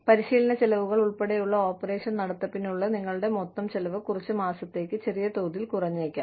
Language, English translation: Malayalam, Training costs included, your total cost of running the operation, could go down, very briefly, for a few months